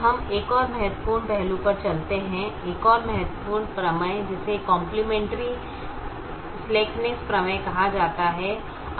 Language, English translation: Hindi, now we move on to another important aspect, another important theorem, which is called the complimentary slackness theorem